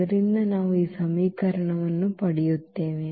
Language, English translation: Kannada, So, that is our characteristic equation here